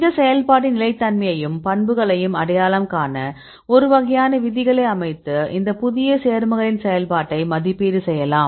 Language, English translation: Tamil, So, to identify the consistency of this activity and the properties we can set a kind of rules and evaluate the activity of these new compounds